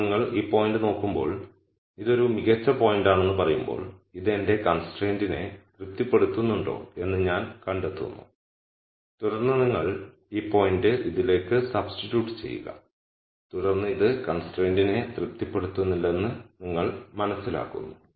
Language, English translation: Malayalam, Now when you look at this point and then say well this is a best point I have let me find out whether it satisfies my constraint and then you substitute this point into this and then you gure out it does not satisfy the constraint